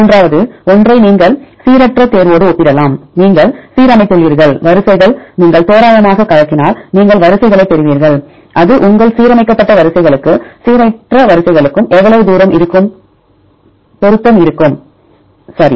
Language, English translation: Tamil, Then third one you can compare with the random choice; you have your aligned sequences then if you shuffle randomly you will get the sequences and how far it will match, your aligned sequences as well as the random sequences right